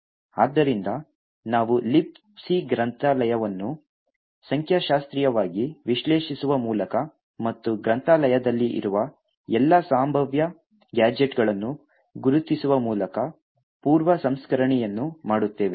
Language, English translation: Kannada, So we would do a pre processing by statistically analysing the libc library and identify all the possible gadgets that are present in the library